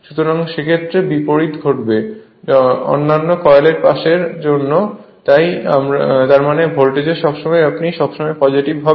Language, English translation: Bengali, So, in that case reverse will happen for other coil side also so; that means your voltage will be always you always your positive